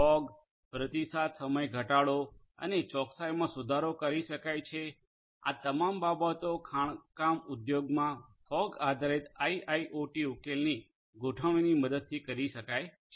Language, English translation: Gujarati, Accuracy can be improved with the help of fog response time reduction at improvement of accuracy all of these things can be done with the help of fog based deployment of IIoT solutions in the mining industry